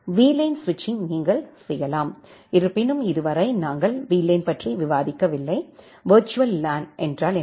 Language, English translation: Tamil, You can do the VLAN switching although, till now we have not discussed about, what is VLAN, virtual LAN